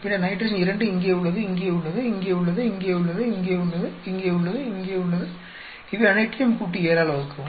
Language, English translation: Tamil, Then nitrogen 2 here, here, here, here, here, here, here ,add up all these divide by 7